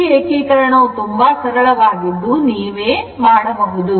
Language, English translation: Kannada, This integration is very simple